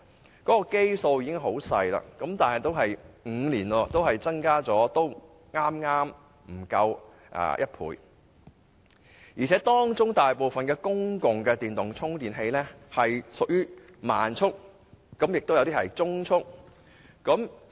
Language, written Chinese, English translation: Cantonese, 有關的基數已極小，而5年間的增幅亦剛剛不足1倍，當中大部分公共充電器更屬於慢速，有些則屬中速。, It is a pity that the number of public chargers provided is very limited and the growth rate in the five - year period was not even double